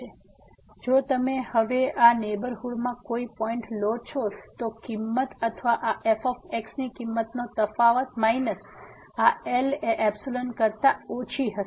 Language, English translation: Gujarati, So, if you take any point in this neighborhood now, the value will be or the difference of the value of this and minus this will be less than the epsilon